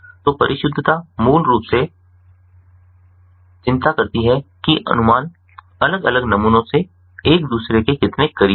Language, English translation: Hindi, so precision basically concerns how close the estimates are from the different samples ah, from the different samples, to each other